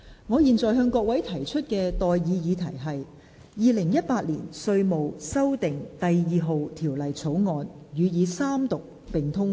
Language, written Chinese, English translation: Cantonese, 我現在向各位提出的待議議題是：《2018年稅務條例草案》予以三讀並通過。, I now propose the question to you and that is That the Inland Revenue Amendment No . 2 Bill 2018 be read the Third time and do pass